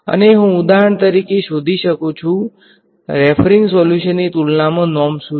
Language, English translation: Gujarati, And I can find out for example, compared to the referring solution what is the norm